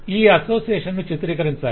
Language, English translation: Telugu, so this association needs to be represented